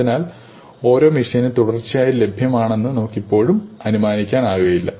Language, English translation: Malayalam, So, we cannot realistically assume that every machine is continuously available